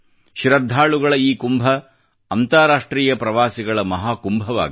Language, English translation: Kannada, May this Kumbh of the devotees also become Mahakumbh of global tourists